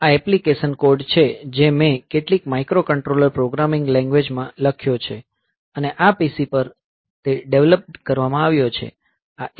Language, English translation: Gujarati, So, this is the application code that I have written in some microcontroller programming language I have written it, and this is developed sitting on a PC